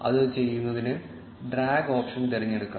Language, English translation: Malayalam, To do that, we can select the drag option by clicking on it